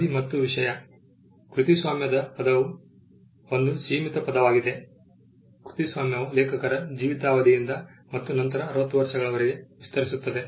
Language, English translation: Kannada, Term and subject matter: the term of a copyright is a limited term; the copyright extends to the life of the author plus 60 years